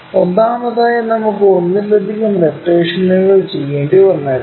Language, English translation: Malayalam, First of all, we may have to do multiple rotations